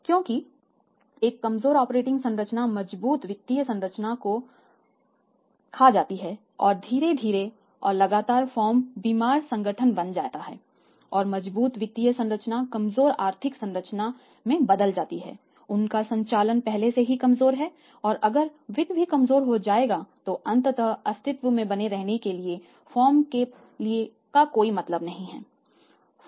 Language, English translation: Hindi, Because of weak operating structure will eat away the strong financial structure and slowly and steadily firm will becomes sick organisation and the strong financial structure will become the weak financial structure their operations are already weak and if the finance is also become weak ultimately there is no point for the firm to survive to remain into existence firm will closed down soon